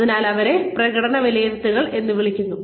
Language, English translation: Malayalam, So, that is called as performance appraisal